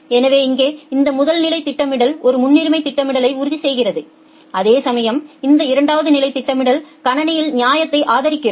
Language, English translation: Tamil, So, here this first level of scheduling it ensures a priority scheduling, whereas, this second level of scheduling it supports fairness in the system